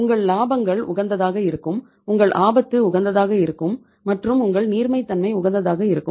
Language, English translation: Tamil, Your profits will be optimum, your risk will be optimum and your liquidity will be optimum